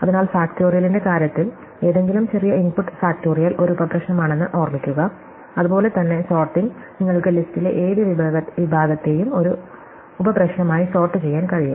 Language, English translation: Malayalam, So, in the case of factorial remember that any smaller input factorial is a sub problem, similarly for sorting you can think of any segment of the list to be sorted as a sub problem